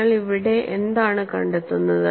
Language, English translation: Malayalam, And what you find here